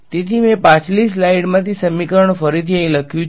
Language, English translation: Gujarati, So, I have rewritten the equation from the previous slide over here right